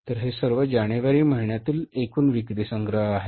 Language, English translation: Marathi, In the month of January, this is going to be the sales collection